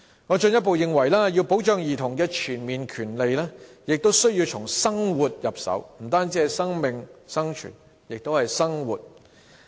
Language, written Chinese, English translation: Cantonese, 我進一步認為，要保障兒童的全面權利，必須從生活入手，不單是生命、生存，還有生活。, I further hold that to comprehensively protect childrens rights it is imperative to start with their living . We should care for not only their lives and survival but also their living